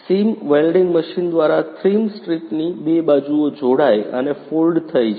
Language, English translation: Gujarati, 2 sides of the rim strip are joined and folded by seam welding machine